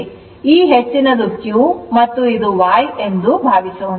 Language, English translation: Kannada, So, this high it is the q and say this is y